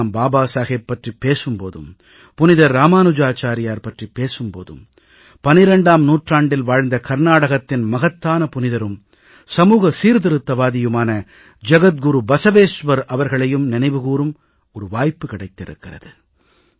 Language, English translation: Tamil, Today when I refer to Babasaheb, when I talk about Ramanujacharya, I'm also reminded of the great 12th century saint & social reformer from Karnataka Jagat Guru Basaveshwar